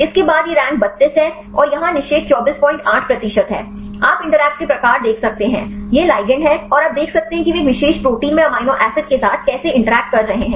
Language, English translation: Hindi, 8 percent; you can see the type of interactions; this is the ligand and you can see how they are interacting with the amino acids in a particular protein